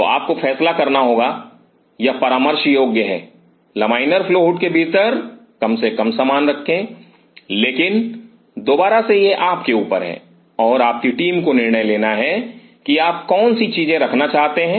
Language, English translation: Hindi, So, you have to decide it is advisable that put minimum stuff inside the laminar flow hood, but again this is up to you and your team to decide what all things you wanted to place